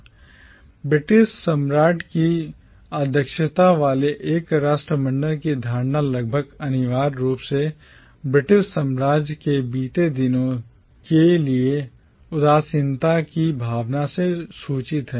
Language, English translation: Hindi, The notion of a commonwealth headed by the British monarch is almost inevitably informed by a spirit of nostalgia for the bygone days of the British empire